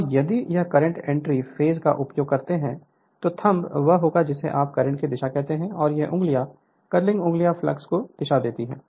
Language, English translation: Hindi, And if you use current entering into the page then the thumb will be what you call the direction of the current and this fingers, the curling fingers will be the direction of the flux right